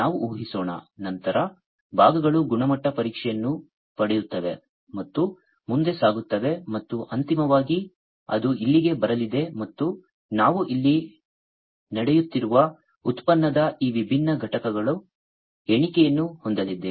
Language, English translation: Kannada, Let us assume, then the parts will get quality tested and move forward and finally, it will it is going to come over here and we are going to have the counting of these different units of product taking place over here